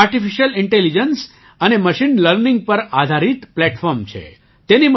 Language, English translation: Gujarati, This is a platform based on artificial intelligence and machine learning